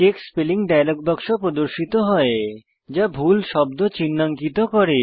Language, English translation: Bengali, The Check Spelling dialog box appears, highlighting the misspelled word